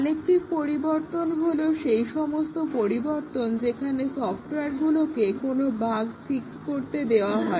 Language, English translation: Bengali, Corrective changes are those changes, which are made to the code to fix some bugs